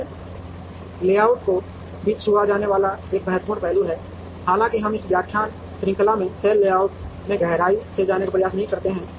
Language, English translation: Hindi, Cell layout is also an important aspect to be touched upon, though we do not attempt to go deeper into cell layout in this lecture series